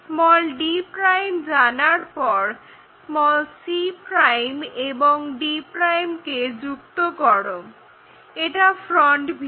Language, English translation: Bengali, Once we know d', join c' and d' and that will be the front view